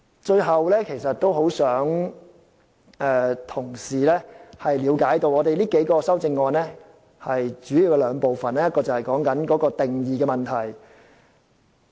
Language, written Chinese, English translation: Cantonese, 最後，我很希望同事能夠了解，我們提出的這數項修正案主要有兩部分，第一是定義的問題。, Lastly I very much hope colleagues will understand that these several amendments proposed by me mainly consist of two parts . One is about definitions